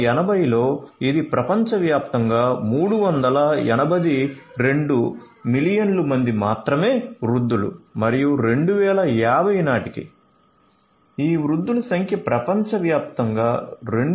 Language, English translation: Telugu, In 1980, there were 382 million you know elderly persons over the world, in 2050 that number is going to grow to 2